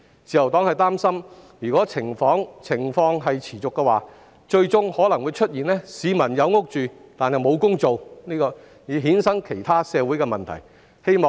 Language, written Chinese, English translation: Cantonese, 自由黨擔心，如果情況持續，最終可能導致部分市民有居所而沒有工作，繼而衍生其他社會問題。, The Liberal Party is worried that if the situation persists some people may end up having a home but no job which will in turn lead to other social problems